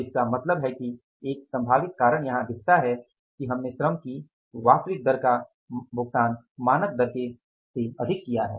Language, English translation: Hindi, So, it means one possible reason looks here as is that we have paid the actual rate of the labor which is more than the standard rate